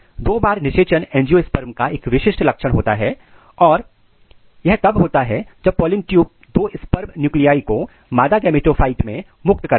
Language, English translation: Hindi, Double fertilization is characteristic feature of an angiosperm which occurs when pollen tube discharges two sperm nuclei into the female gametophyte